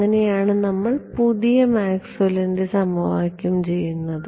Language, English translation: Malayalam, That is how we set up the new Maxwell’s equation as we call them right